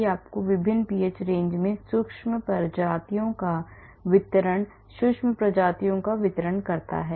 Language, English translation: Hindi, it gives you micro species distribution micro species distribution at different ph range